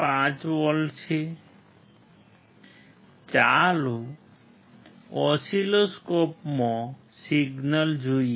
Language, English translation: Gujarati, 5 volts, let us see the signal in the oscilloscope